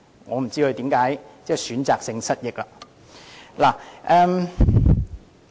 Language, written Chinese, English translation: Cantonese, 我不知道他為何會選擇性失憶。, 139B so I do not know why he has selectively lost his memory